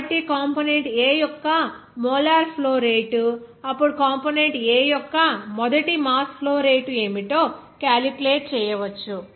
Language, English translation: Telugu, So, molar flow rate of the component A, then can be calculated as what should be the first mass flow rate of component A